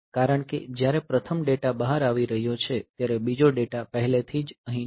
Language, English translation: Gujarati, Because, when the first data is coming out the second data is already here